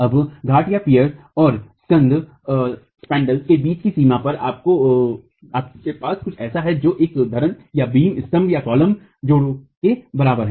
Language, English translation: Hindi, Now at the boundary between the piers and the spandrels, you have something that is comparable to a beam column joint